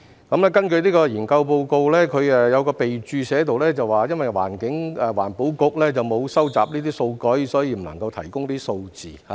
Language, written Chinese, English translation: Cantonese, 這份研究報告有一項備註寫着，因為環境局沒有收集這些數據，所以不能夠提供數字。, In this study report there is a remark that figures are not available as the Environment Bureau does not collect such data